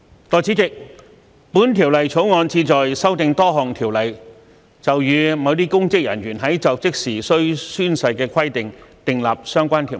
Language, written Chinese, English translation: Cantonese, 代理主席，《2021年公職條例草案》旨在修訂多項條例，就與某些公職人員在就職時須宣誓的規定，訂定相關條文。, Deputy President the Public Offices Bill 2021 the Bill seeks to amend various ordinances to introduce the relevant provisions to provide for the requirements of oath - taking by certain public officers when assuming office